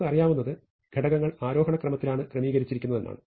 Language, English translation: Malayalam, So, what we know is that the values are say in ascending order